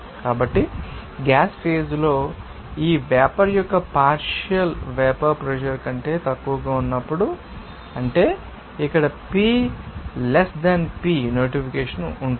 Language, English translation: Telugu, So, when the partial pressure of this vapor in the gas phase is less than the vapor pressure, that is you know pi less than piv here has for notation